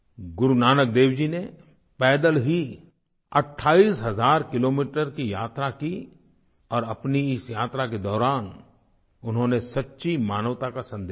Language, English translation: Hindi, Guru Nanak Dev ji undertook a 28 thousand kilometre journey on foot and throughout the journey spread the message of true humanity